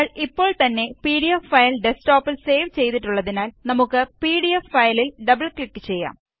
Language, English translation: Malayalam, Since we have already saved the pdf file on the desktop, we will double click on the pdf file